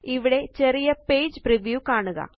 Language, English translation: Malayalam, Here is a small preview of the page